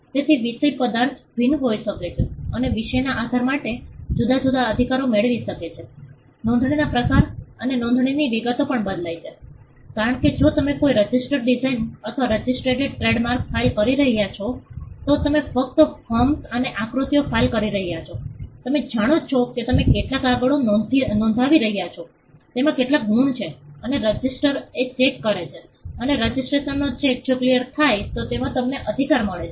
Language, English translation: Gujarati, So, subject matter can vary and depending on the subject matter you can have different rights, kind type of registration the details of registration also varies because if you are filing a design a register design or a registered trademark; you are just filing forms and figures you know you are just filing some papers with some marks in it and the registry does a check and the registry if the check is cleared then you get your right